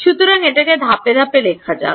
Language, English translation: Bengali, So, let us write it in stepwise form